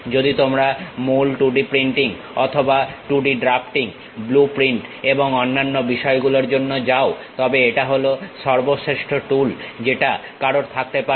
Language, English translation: Bengali, If you are mainly going for 2D printing or 2D drafting, blueprints and other things this is the best tool what one can have